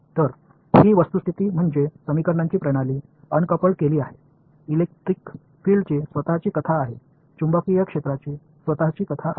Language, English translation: Marathi, So, these statics they are uncoupled system of equations; electric field has its own story, magnetic field has its own story ok